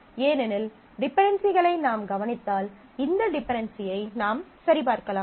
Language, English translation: Tamil, It also preserves all the dependencies because if you look into these dependencies, you can check for this dependency